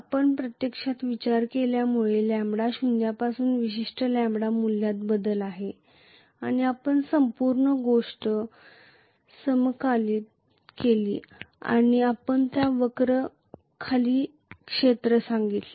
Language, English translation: Marathi, Because we considered actually, the lambda is changing from zero to particular lambda value and we integrated the whole thing and we said area under that curve